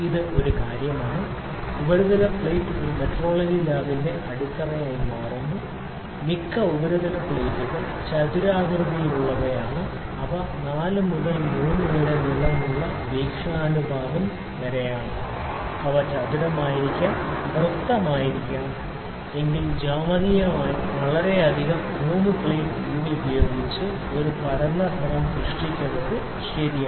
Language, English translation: Malayalam, This is one thing, surface plate forms the foundation of a metrology lab, the most surface plates are rectangular which are having 4 by 3 length aspect ratio is 4 by 3, they may be square they may be round or they are geometrically most correct for creating a flat plane by 3 plate method